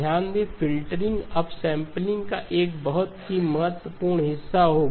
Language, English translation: Hindi, Notice that the filtering will come as a very important part of upsampling